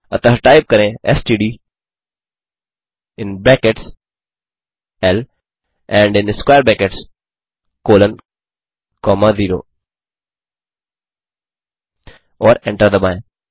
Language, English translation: Hindi, For that type mean within brackets L and in square brackets 0 comma colon and hit Enter